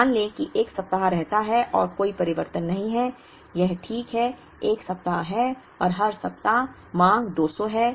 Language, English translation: Hindi, Let us assume that the 1 week stays and there is no change, it is exactly 1 week and every week the demand is exactly 200